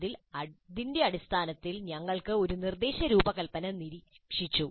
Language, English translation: Malayalam, Based on that, we looked at one instruction design